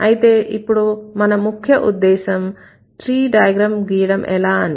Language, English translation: Telugu, So, now the concern here is how to draw tree diagram